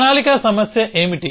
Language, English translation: Telugu, So, what is the planning problem